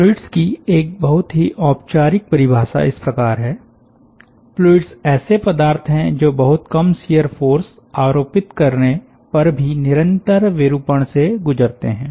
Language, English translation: Hindi, a very formal definition of fluids is like this: that fluids are substances which under the continuous deformation, even under the action of very small shear force